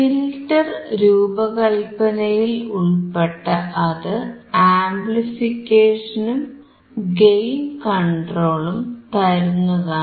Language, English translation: Malayalam, Included within it is filter design, providing amplification and gain control